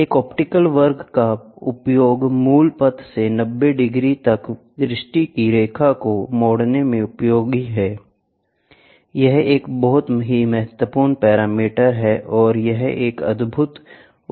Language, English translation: Hindi, An optical square is used for is useful in turning the line of sight by 90 degrees from the original path, turning the line of sights by 90 degrees to the original path